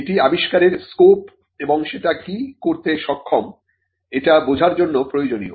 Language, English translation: Bengali, Useful for understanding the scope of the invention and it is enablement